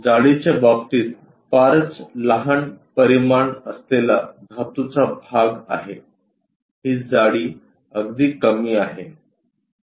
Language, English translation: Marathi, The metallic part having very small dimensions in terms of thickness, this is the thickness very small